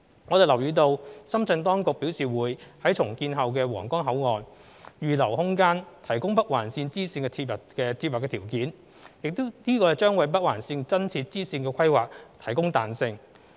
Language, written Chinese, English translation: Cantonese, 我們留意到深圳當局表示會於重建後的皇崗口岸預留空間，提供北環綫支綫接入的條件，這將為北環綫增設支綫的規劃提供彈性。, We also note that the Shenzhen authorities has announced that the land adjacent to the redeveloped Huanggang Port will be reserved for facilities connecting the bifurcation of NOL this will add flexibility to the planning and addition of the bifurcation of NOL